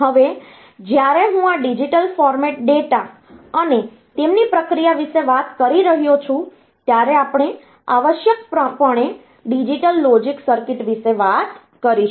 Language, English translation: Gujarati, Now, when I am talking about this digital format data and their processing, we will be essentially talking about the digital logic circuits ok